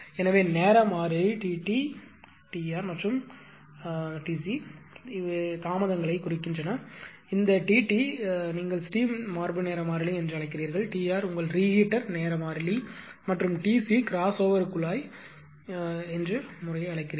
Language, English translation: Tamil, So, the time constant T t, T r and T c represent delays, this T t you call steam chest time constant, T r or what you call your T r that is your your what you call that reheat time constant and the T c crossover piping respectively